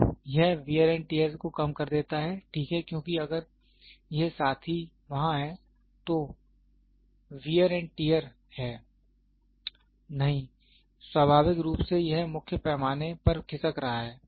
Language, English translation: Hindi, So, it reduces wear and tear, reduces wear and tear of jaw, right, because if this fellow is there is a wear and tear, no naturally it is sliding on the main scale